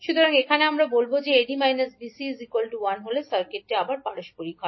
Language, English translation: Bengali, So, if AD minus BC is equal to 1, we will say that the circuit is reciprocal